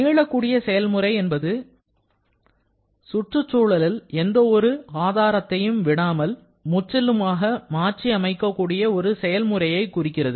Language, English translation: Tamil, Now, the reversible process refers to a process that can completely be reversed without leaving any trace of proof on the surrounding